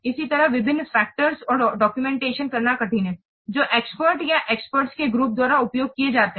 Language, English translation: Hindi, Similarly, it is hard to document the various factors which are used by the experts or the experts group